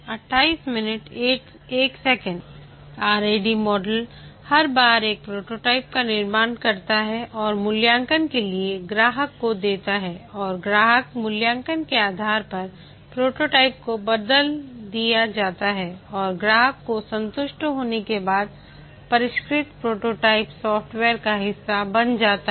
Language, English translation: Hindi, The Rad model model each time constructs a prototype and gives to the customer for evaluation and based on the customer evaluation the prototype is changed and as the customer gets satisfied the refined prototype becomes the part of the software